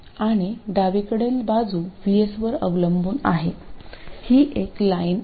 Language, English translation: Marathi, The straight line is what is dependent on VS, right